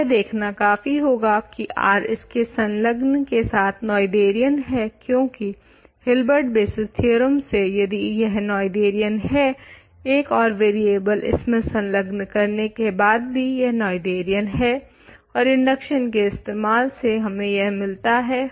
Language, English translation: Hindi, So, it suffices to check R adjoined is Noetherian, because by Hilbert basis theorem if this is Noetherian by adjoining an extra variable this is Noetherian, and we keep doing this by induction we get this ok